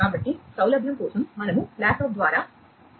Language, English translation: Telugu, So, for convenience we have connected over laptop